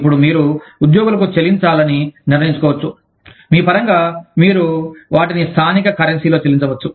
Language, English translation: Telugu, Now, you may decide, to pay the employees, in terms of, of course, you pay them, in the local currency